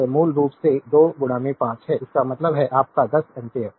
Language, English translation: Hindi, So, is basically 2 into 5; that means, your 10 ampere